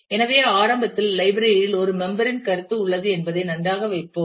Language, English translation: Tamil, So, initially let us just put that well the library has a concept of a member